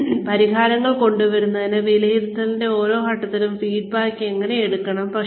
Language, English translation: Malayalam, And, how feedback needs to be taken, at every stage of assessment, in order to come up with solutions